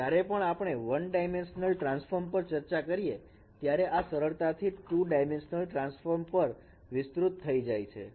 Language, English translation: Gujarati, So whatever we have discussed in one dimensional transform, this can be easily extended for two dimensional transforms this discussion